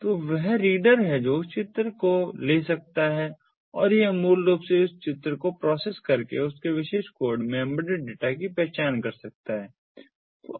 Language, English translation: Hindi, so there is that reader which can take that image and it can, it can basically process that image to identify the data that is embedded in that particular code